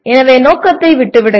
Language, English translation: Tamil, So leave the purpose